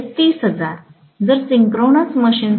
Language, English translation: Marathi, Whereas for a synchronous machine